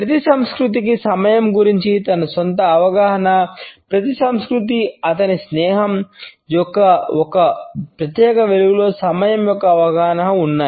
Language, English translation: Telugu, Every culture has his own perception of time every culture of his friendship and a perception of time in a separate light